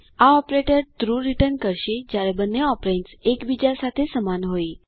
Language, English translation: Gujarati, This operator returns true when both operands are equal to one another